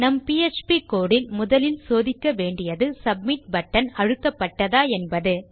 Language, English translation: Tamil, Okay so first of all inside our php code we need to check whether the submit button has been pressed